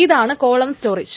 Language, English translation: Malayalam, That's the column storage